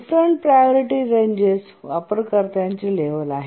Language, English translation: Marathi, The different priority ranges are the user levels